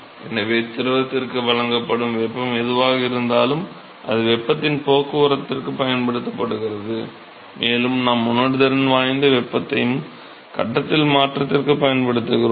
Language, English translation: Tamil, So, whatever heat that is supplied to the fluid is what is being used for transport of heat we have sensible heat and also for change in the phase